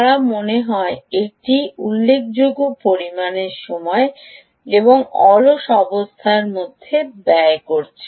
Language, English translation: Bengali, they seem to be spending a significant amount of time and in the idle condition